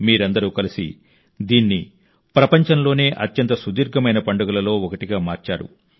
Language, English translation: Telugu, All of you together have made it one of the longest running festivals in the world